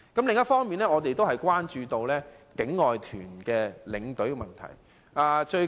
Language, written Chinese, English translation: Cantonese, 另一方面，我們也關注境外團的領隊問題。, We are also concerned about issues related to outbound tour escorts